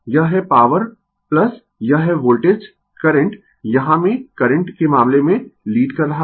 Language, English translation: Hindi, This is power plus this is voltage current here in the in the case of current is leading